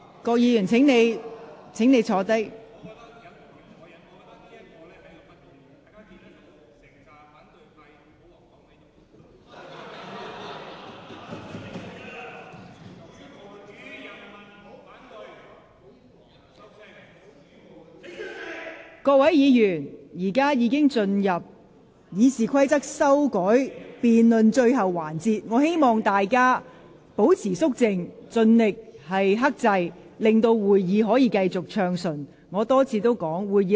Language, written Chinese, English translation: Cantonese, 各位議員，本會現在已進入有關修改《議事規則》辯論的最後環節，請各位保持肅靜，盡量克制，令會議能繼續暢順進行。, Honourable Members we have entered the final session of the debate on amending RoP . Please keep quiet and exercise maximum restraint for the meeting to continue to proceed smoothly